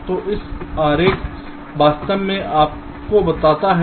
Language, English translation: Hindi, so this diagram actually tells you that